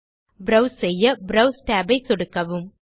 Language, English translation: Tamil, To browse, just click the browse tab